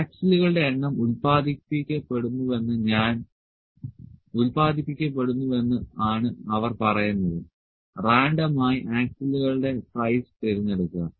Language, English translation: Malayalam, So, what they are telling that number of axles are produced it just pick the random size of axles